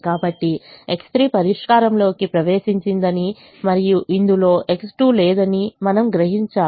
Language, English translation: Telugu, so you see that x three has entered the solution and there is no x two in this at the moment